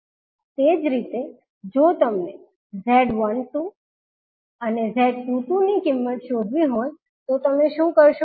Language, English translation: Gujarati, Similarly, if you need to find the value of Z12 and Z22, what you will do